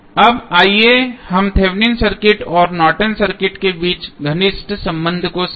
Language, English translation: Hindi, Now, let us understand the close relationship between Thevenin circuit and Norton's circuit